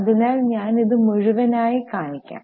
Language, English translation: Malayalam, I will just show you in full